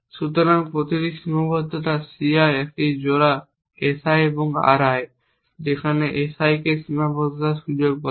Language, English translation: Bengali, So, each constraint c i is a pair S i and R i where S i is called scope of the constraint